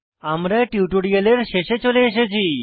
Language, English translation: Bengali, This bring to the end of this tutorial